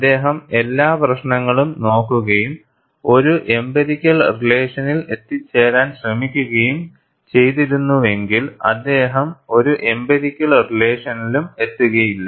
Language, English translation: Malayalam, If he had looked at all issues and attempted to arrive at an empirical relation, he may not have arrived at an empirical relation at all